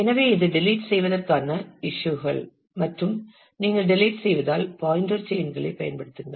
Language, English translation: Tamil, So, this is the issues of deletion and if you delete you use pointer chains